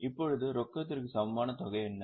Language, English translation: Tamil, Now, what is that cash equivalent